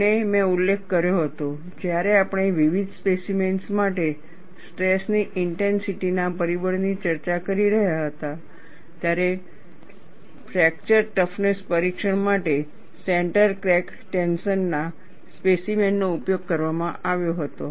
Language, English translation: Gujarati, And I had mentioned, when we were discussing the stress intensity factor for variety of specimens, the center cracked tension specimen was used for fracture toughness testing